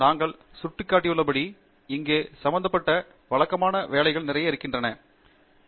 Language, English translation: Tamil, And as we also pointed out, there is lot of routine work that is involved here, which you should not over look